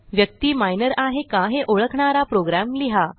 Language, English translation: Marathi, We will write a program to identify whether a person is Minor